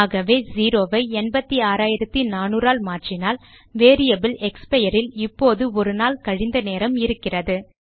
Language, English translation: Tamil, So if I replace zero with 86400, we have the variable expire that now holds the time in the future by a day